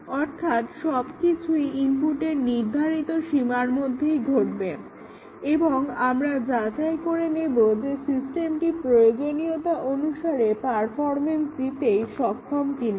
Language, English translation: Bengali, So, all within the specified range of inputs, and check is the system behaving as per its requirement